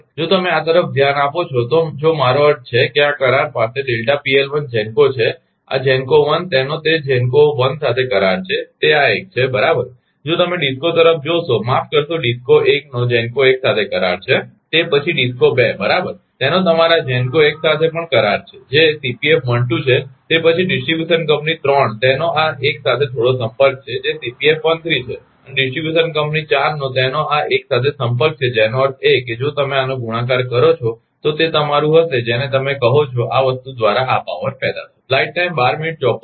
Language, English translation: Gujarati, If you look into this if you I mean this contact has delta PL 1 GENCO this this ah this delta this GENCO 1 it has contact with GENCO 1 is this much right, if you look into the DISCO sorry DISCO 1 such contact with the GENCO 1, then DISCO 2 right it has contact also with your ah um this GENCO 1 that is Cpf 1 2, then distribution company 3 it has some contact with this 1 will that is Cpf 1 3 and distribution company 4 it has contact with this 1 that means, If you multiply this one, it will be your what you call this will be power generated by this thing